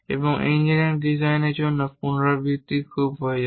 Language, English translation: Bengali, And repetition is very much required for the engineering design